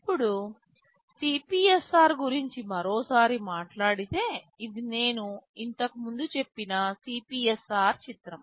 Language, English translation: Telugu, Now, talking about the CPSR once more this is again the picture of the CPSR I told earlier